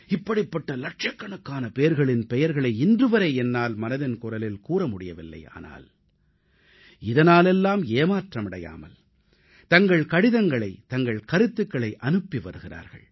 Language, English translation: Tamil, There are lakhs of persons whose names I have not been able to include in Mann Ki Baat but without any disappointment,they continue to sendin their letters and comments